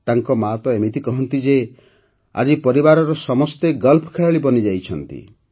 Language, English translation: Odia, His mother even says that everyone in the family has now become a golfer